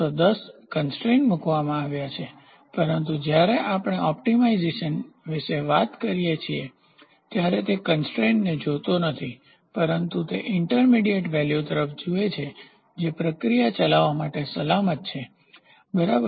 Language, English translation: Gujarati, So, it is all 10 constraints are put, but when we talk about optimisation, it does not look at constraints, but it looks at intermediate value which is safer for the process to operate, ok